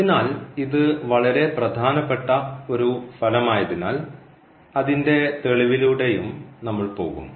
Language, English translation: Malayalam, So, since this is a very important result we will also go through the proof of it